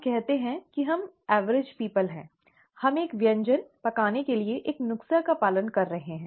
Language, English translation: Hindi, Let us say that we are average people, we are following a recipe to cook a dish